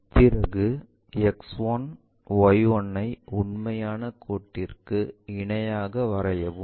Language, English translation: Tamil, Now, we have to draw X 1, Y 1 parallel to this true line